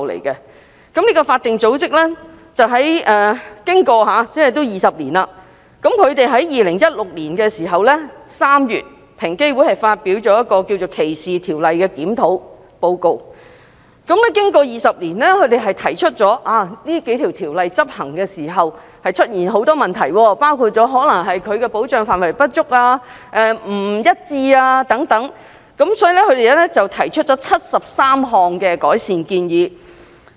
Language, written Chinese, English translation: Cantonese, 這個法定組織已歷時20年，在2016年3月，平機會發表了一份關於歧視條例檢討意見書，提出該數項反歧視條例經過20年在執行時出現很多問題，包括保障範圍不足、不一致等，並提出73項改善建議。, Twenty years after the establishment of this statutory body EOC published a review report on the anti - discrimination ordinances in March 2016 . The report pointed out the many problems arisen over the 20 years in implementing the ordinances which included among others inadequate and inconsistent protection coverage . The report also put forth 73 recommendations to improve the situation